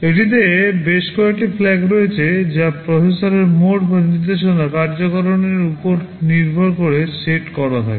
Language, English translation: Bengali, It consists of several flags that are set depending on the mode of the processor or the instruction execution